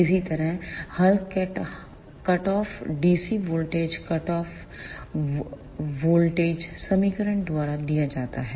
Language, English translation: Hindi, Similarly, the cut off ah dc voltage is given by hull cut off voltage equation